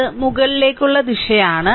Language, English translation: Malayalam, This is upward direction